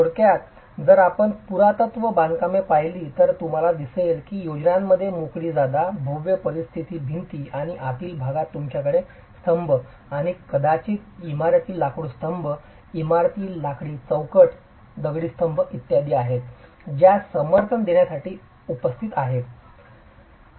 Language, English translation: Marathi, Typically if you look at ancient constructions you will see that the plans have open flow spaces, massive peripheral walls and in the interior you might have columns and these may be timber columns, timber posts, stone columns that are additionally present to support the flow